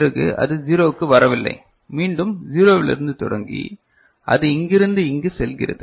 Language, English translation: Tamil, So, then it is not coming to 0 and again beginning from the 0, it is going from here to here, ok